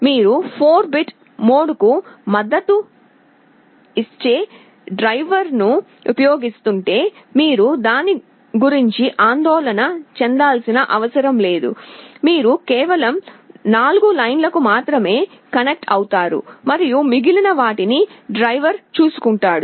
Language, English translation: Telugu, If you are using a driver that supports 4 bit mode, you need not have to worry about it, you connect to only 4 lines and the driver will take care of the rest